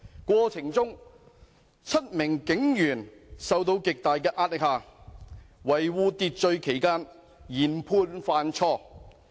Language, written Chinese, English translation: Cantonese, 過程中 ，7 名警員在受到極大的壓力下，在維護秩序期間研判犯錯。, In the process under tremendous pressure seven police officers made a wrong judgment while maintaining order